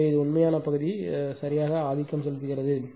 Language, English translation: Tamil, So, real part is dominating right